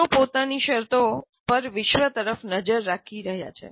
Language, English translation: Gujarati, They are looking at the world on their own terms